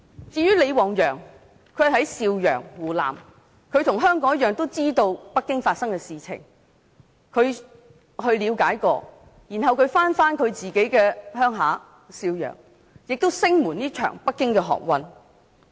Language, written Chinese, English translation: Cantonese, 在湖南邵陽市的李旺陽與香港市民一樣，知道北京發生的事情，他了解事情後返回自己的家鄉邵陽市，聲援這場北京學運。, Like many Hong Kong people LI Wangyang in Shaoyang Hunan Province learnt what happened in Beijing . He returned to his hometown in Shaoyang to support the student movement in Beijing